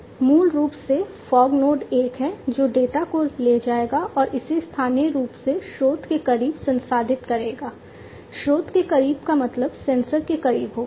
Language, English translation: Hindi, Basically, the fog node basically is the one, which will take the data and process it locally close to the source, close to the source means close to the sensors